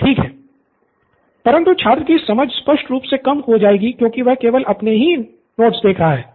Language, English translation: Hindi, So understanding will obviously be low because he is only looking at his notes